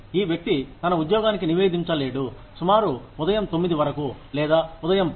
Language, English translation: Telugu, But, this person cannot report to his or her job, till about 9 in the morning, or 10 in the morning